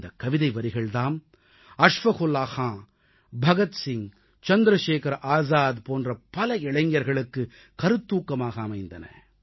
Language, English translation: Tamil, These lines inspired many young people like Ashfaq Ullah Khan, Bhagat Singh, Chandrashekhar Azad and many others